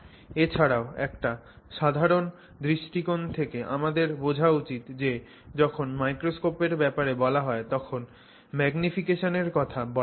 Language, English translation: Bengali, And also we must understand from a general perspective that normally when somebody says microscope we think of magnification